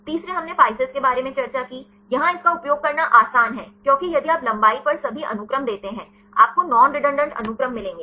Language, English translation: Hindi, The third one we discussed about PISCES; here it is easy to use, because if you give all the sequences on length; you will get the non redundant sequences